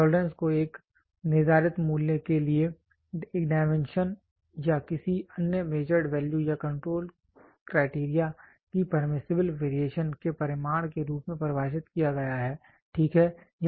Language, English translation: Hindi, Tolerance are defined as the magnitude of permissible variation magnitude of permissible variation of a dimension or any other measured value or control criteria for a for a specified value, ok